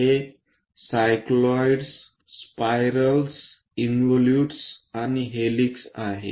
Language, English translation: Marathi, These are cycloids, spirals, involutes and helix